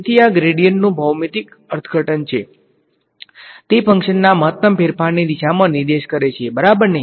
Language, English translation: Gujarati, So, this is a physical interpretation of gradient, it points in the direction of the maximum change of the function ok